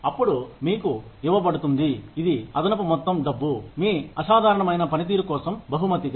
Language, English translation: Telugu, Then, you are given, an additional lump sum of money, as a reward, for your exceptional performance